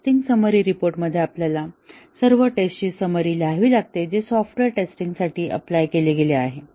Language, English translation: Marathi, In the test summary report, we have to write the summary of all tests, which has been applied to the test that to the software